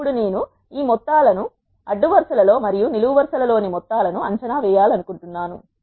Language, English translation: Telugu, Now, I want to evaluate these sums across the rows and the sums across the columns